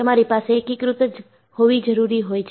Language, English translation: Gujarati, You have to have an integrated design